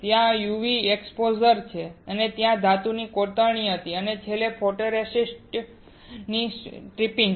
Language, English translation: Gujarati, There is UV exposure, then there was etching of metal and finally, tripping of photoresist